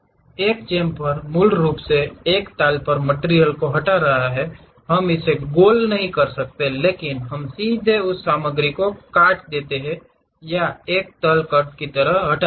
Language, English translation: Hindi, Chamfer is basically removing material on a plane, we do not round it off, but we straight away chop or remove that material like a plane, a cut